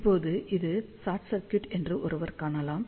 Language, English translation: Tamil, Now, one can see that this is short circuit